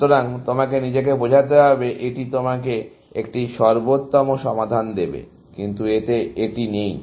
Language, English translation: Bengali, So, you have to convince yourself that this will give you an optimal solution, but it does not have this